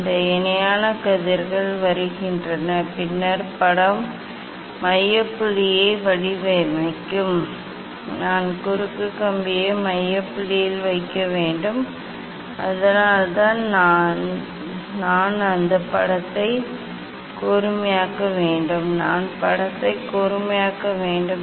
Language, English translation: Tamil, this parallel rays are coming and then image will format the focal point, I have to put the cross wire at the focal point so that is why I have to make that image sharp; I can make the image sharp